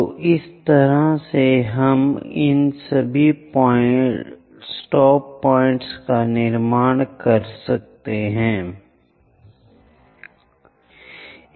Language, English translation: Hindi, So, in that way, we will construct all these stop points